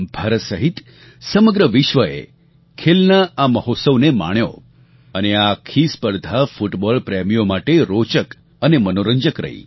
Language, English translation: Gujarati, The whole world including India enjoyed this mega festival of sports and this whole tournament was both full of interest and entertainment for football lovers